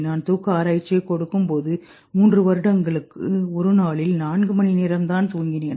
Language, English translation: Tamil, While I was doing my sleep research, I almost used to sleep four hours in a day for three years and nothing happened